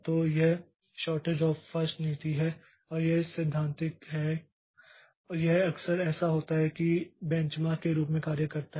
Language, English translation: Hindi, So, this is the shortage job first policy and this is theoretical one and it often so this acts as a benchmark